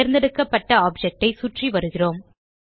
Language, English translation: Tamil, We are orbiting around the selected object